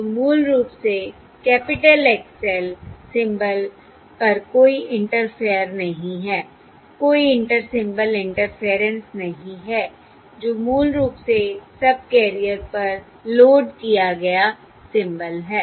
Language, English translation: Hindi, So basically, there is no interference, Inter Symbol Interference on the symbol x L, capital x L, which is basically the symbol loaded onto the subcarrier